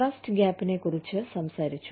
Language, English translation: Malayalam, We talked a little bit about, the trust gap